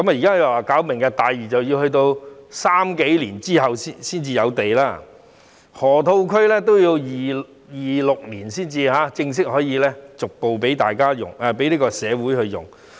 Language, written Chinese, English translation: Cantonese, 現時說發展"明日大嶼"，但要到2030年後才有土地供應，河套區也要到2026年才正式可以逐步供社會使用。, We now talk about the development project of Lantau Tomorrow Vision but the land to be reclaimed will not be available until after 2030 . And the land from the Lok Ma Chau Loop can only be formally and gradually available for use by our society from 2026 onwards